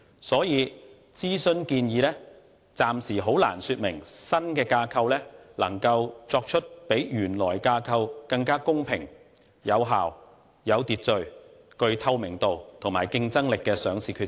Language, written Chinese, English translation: Cantonese, 所以，諮詢建議暫時很難說明新架構能夠作出比原來架構更公平、有效、有秩序、具透明度及競爭力的上市決策。, For these reasons I think that for the time being the consultation proposals can hardly convince us that the listing decisions under the new structure can be fairer and more orderly with greater effectiveness transparency and competitiveness when compared to those under the original structure